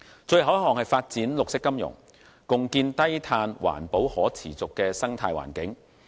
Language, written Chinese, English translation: Cantonese, 最後一項是發展綠色金融，共建低碳環保可持續的生態環境。, Lastly it is developing green finance to jointly build a low - carbon and sustainable living environment